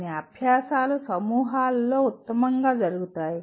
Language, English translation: Telugu, Some exercises are best done in groups